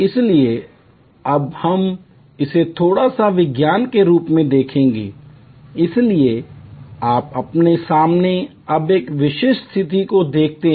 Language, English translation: Hindi, So, we will now look into the science of it a little bit, so you see in front of you now a typical situation